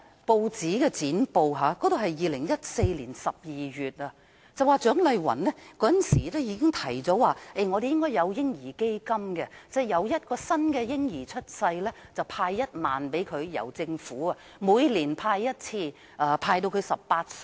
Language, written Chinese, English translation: Cantonese, 我從2014年12月的舊剪報得知，蔣麗芸議員當時已提出本港要成立"嬰兒基金"，每當有一名嬰兒出生，政府便為孩子注資1萬元，每年注資1次，直至孩子18歲。, I learnt from an old newspaper clipping in December 2014 that Dr CHIANG Lai - wan had already proposed the establishment of a baby fund in Hong Kong at that time . After the birth of each baby the Government was to inject 10,000 for the baby once a year until he was 18 years old